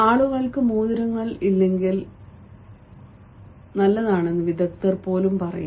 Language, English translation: Malayalam, even experts say it is better if people do not have rings